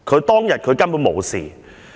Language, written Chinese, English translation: Cantonese, 當日佢根本無事！, He was not hurt on that day!